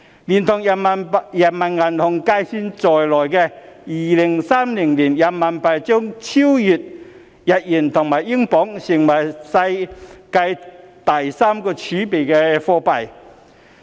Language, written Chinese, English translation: Cantonese, 連同人行計算在內，人民幣將於2030年超越日元及英鎊，成為世界第三大儲備貨幣。, Taking PBoC into account RMB will overtake the Japanese yen and British pound as the number three global reserve currency in 2030